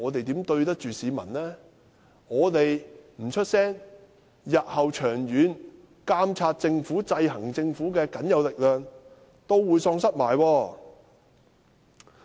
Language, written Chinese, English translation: Cantonese, 如果我們不發聲，監察和制衡政府的僅有力量日後亦會喪失。, If we do not speak up we will lose the last bit of power for monitoring and checking the Government